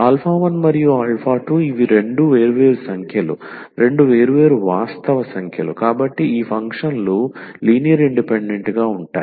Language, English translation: Telugu, So, when alpha 1 and alpha 2 these are two different numbers, two different real numbers, so then these functions are linearly independent